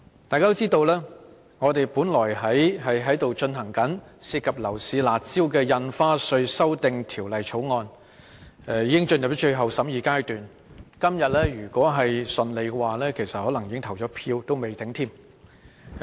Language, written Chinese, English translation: Cantonese, 大家都知道，我們處理這項涉及樓市"辣招"的《2017年印花稅條例草案》，已經進入最後審議階段，今天如順利便可能已經進行表決。, As we all know we have entered the final stage of scrutinizing the Stamp Duty Amendment Bill 2017 the Bill on curb measures in relation to the property market . We could have put the Bill to vote today if things ran smoothly